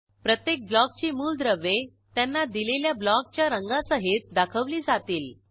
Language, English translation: Marathi, Elements of each Block appear with alloted block color